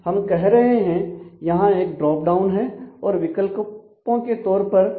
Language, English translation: Hindi, So, we are saying that here is a drop down and it is written out here in terms of options